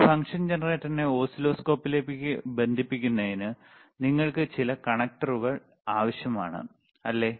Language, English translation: Malayalam, So, for connecting this function generator to oscilloscope, you need some connectors is n't iit not